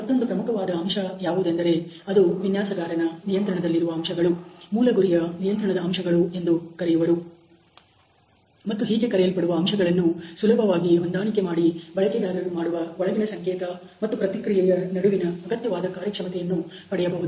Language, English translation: Kannada, The other important factor which is in the control of the designers are called the target control factors and these are so called factors which can be easily adjusted to achieve the desired functional relationship between the user inputs signal and the response